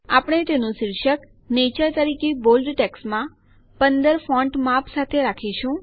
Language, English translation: Gujarati, We will give its heading as Nature in bold text with font size 15